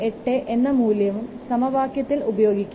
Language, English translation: Malayalam, 38 in the equation